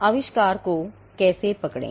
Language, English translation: Hindi, How to catch inventions